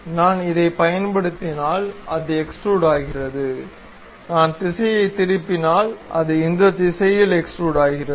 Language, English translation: Tamil, If I use this one, it extrudes out; if I reverse the direction, it extrudes in